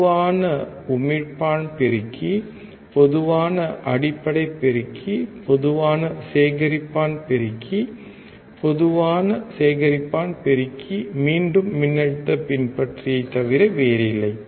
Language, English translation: Tamil, Common emitter amplifier, common base amplifier, common collector amplifier, right, Common collector amplifier is nothing but voltage follower again